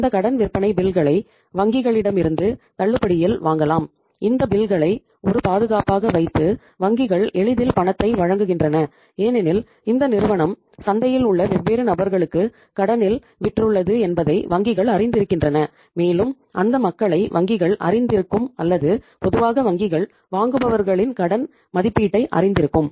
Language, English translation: Tamil, Banks easily give the money by keeping those bills as a security because banks know it that this firm has sold on credit to the different people in the market and those people bank should be knowing or normally banks know the credit rating of the buyers